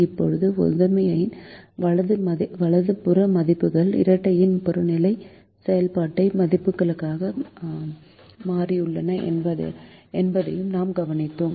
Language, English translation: Tamil, now we also observed that the right hand side values of the primal have become the objective function values of the dual